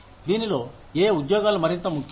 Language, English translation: Telugu, Which of these jobs is more important